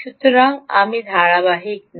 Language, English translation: Bengali, so i am not being consistent